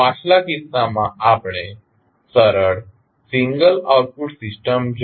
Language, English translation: Gujarati, In the previous case we saw the simple single output system